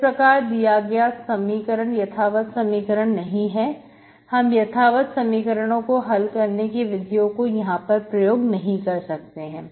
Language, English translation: Hindi, So my equation is not an exact, we cannot apply our method for exact equation to solve the exact equation